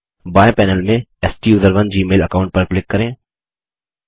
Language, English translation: Hindi, From the left panel, click on the STUSERONE gmail account